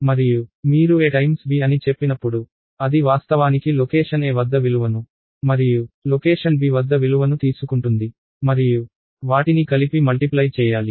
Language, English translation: Telugu, And when you say a times b, it is actually going to take the value at location a and value at location b and multiply them together